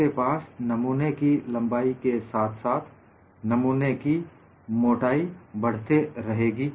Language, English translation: Hindi, You have a thickness keep on increasing as the specimen, along the length of the specimen